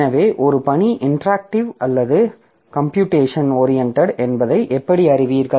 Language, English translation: Tamil, So, like how do you know whether a task is competitive or computation oriented